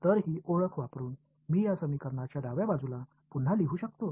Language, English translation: Marathi, So, looking, using this identity, can I rewrite the left hand side of this equation